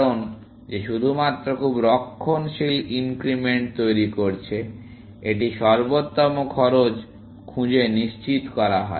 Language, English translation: Bengali, Because that is only making very conservative increments; it is guaranteed to find the optimal cost